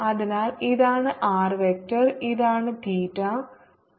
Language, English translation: Malayalam, so this is the r vector, this is theta and this is phi